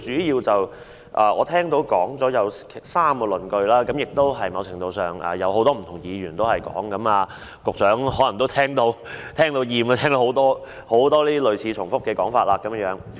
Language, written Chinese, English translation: Cantonese, 依我聽到，他主要提出了3個論據，而這些論據在某程度上已有多位議員提出，局長也可能聽厭了這些類似及重複的說法。, According to what I have heard he has put forth three arguments . These arguments have been raised by a number of Members in some measure and the Secretary may have grown tired of listening to these similar and repetitive remarks